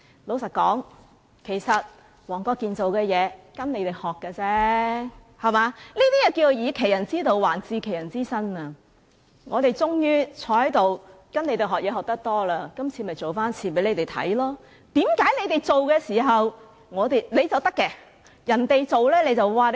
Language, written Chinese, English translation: Cantonese, 老實說，黃國健議員只是向你們學習而已，是"以其人之道，還治其人之身"，我們坐在這裏終於從你們身上學了很多東西，今次就做一次給你們看，為何你們做就可以，人家做便......, Frankly Mr WONG Kwok - kin just learns from the opposition camp and gives them a taste of their own medicine . Finally we have learnt something from them and we apply this altogether this time . Why on earth that we cannot employ their tactics?